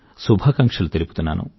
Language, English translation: Telugu, My best wishes to them